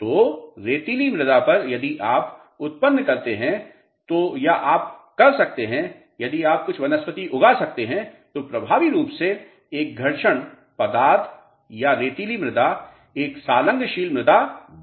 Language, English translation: Hindi, So, on a sandy soil if you can generate or you can if you can grow some vegetation so, effectively a frictional material or sandy soil becomes a cohesive soil